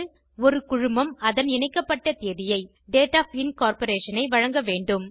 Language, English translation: Tamil, A Company should provide its Date of Incorporation